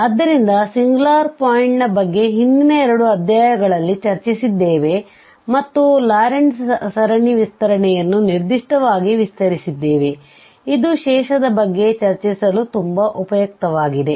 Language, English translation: Kannada, So, the previous two chapters where we have discussed the singular points and also the expansion particular the Laurent series expansion that will be very useful to discuss this residue now